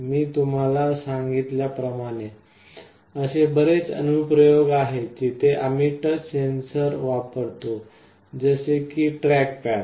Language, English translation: Marathi, As I told you there are many applications where we use touch sensors; like track pads